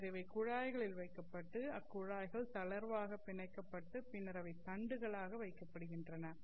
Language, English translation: Tamil, And then these are put in tubes and then these tubes are loosely bounded and then they are put into rods and these rods are located along the ducts